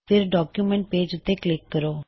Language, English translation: Punjabi, So lets click on the document page